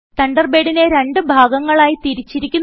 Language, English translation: Malayalam, Thunderbird is divided into two panels